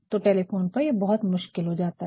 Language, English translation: Hindi, So, it is very difficult on on telephone